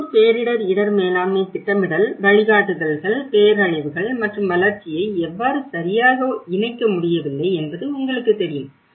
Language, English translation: Tamil, So that is where the local disaster risk management planning guidelines you know, how it is not properly able to connect the disasters and development